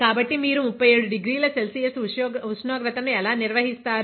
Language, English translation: Telugu, So, how do you maintain that 37 degree Celsius temperature